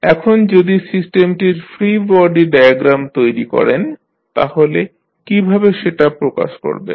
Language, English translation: Bengali, Now, if you create the free body diagram of the system, how you will represent